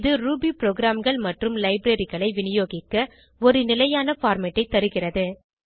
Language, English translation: Tamil, It provides a standard format for distributing Ruby programs and libraries